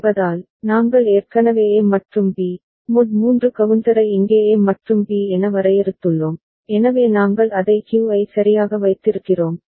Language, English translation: Tamil, Since, we have already defined A and B, mod 3 counter here as A and B, so we are just keeping it Q right